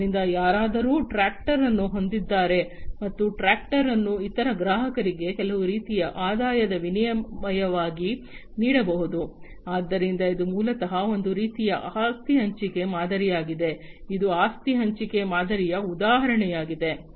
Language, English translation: Kannada, So, somebody owns the tractor and that tractor can be given in exchange of some kind of revenue to the other customers, so that this is basically a kind of asset sharing model, this is an example of an asset sharing model